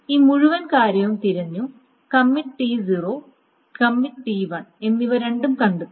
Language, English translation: Malayalam, So then again this entire thing is searched and both commit T0 and commit T1 is found